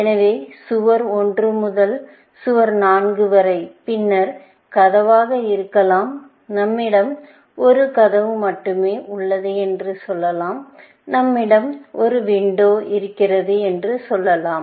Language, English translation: Tamil, So, from wall 1 to wall 4 and then, may be door; let say, we have only 1 door in this, and let say, we have a window